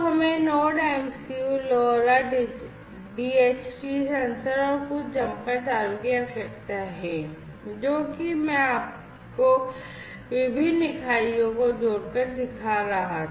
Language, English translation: Hindi, So, we need the Node MCU, LoRa, DHT sensor, and some jumper wires those wires, that I was showing you connecting different units like